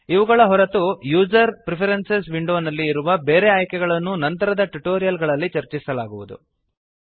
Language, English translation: Kannada, Apart from these there are other options present in user preferences window which will be discussed in the later tutorials